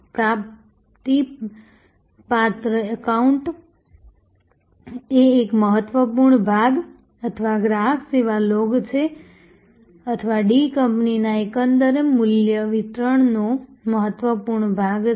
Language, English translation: Gujarati, The accounts receivable is such an important part or the customer service log or is such an important part of the overall value delivery of D company